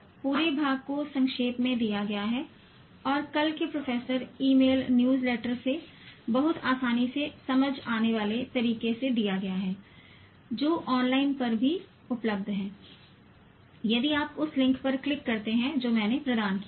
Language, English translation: Hindi, The entire part is summarized and given in a very easily digestible manner from tomorrow's professor email newsletter which is also available online if you click the link that I have provided